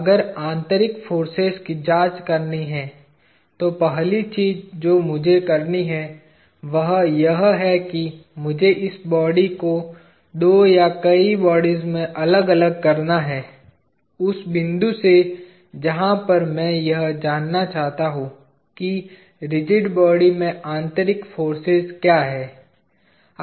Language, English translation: Hindi, If have to the examine the internal forces; the first thing that I have to do, is I have to separate this body into two or several bodies, with the point at which I wish to know what are the internal forces in the rigid body